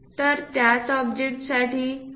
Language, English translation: Marathi, So, for the same object the 2